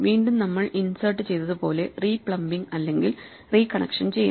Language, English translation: Malayalam, Well again just as we did insert we would do some re plumbing or re connection